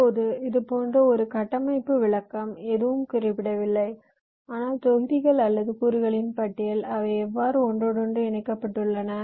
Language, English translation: Tamil, ok, now such a structural description is, as i said, nothing but a list of modules or components and how their interconnected